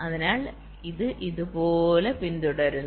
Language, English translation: Malayalam, so it follows like this, right